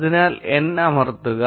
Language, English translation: Malayalam, Therefore, press n